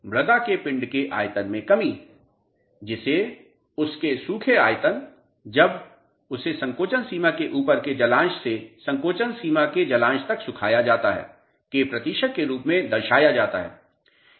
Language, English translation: Hindi, What is volumetric shrinkage the reduction in volume of the soil mass expressed as a percentage of its dry volume when the soil mass is dried from a water content above the shrinkage limit to the shrinkage limit